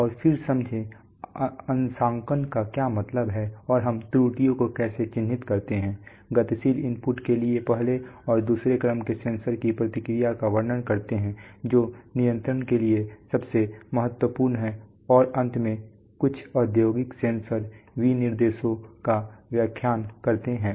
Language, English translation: Hindi, And then the understand, what is meant by calibration and what do we, how do we characterize errors describe the response of first and second order sensors to dynamic inputs that is most important for control and finally interpret, look at some industrial sensor specifications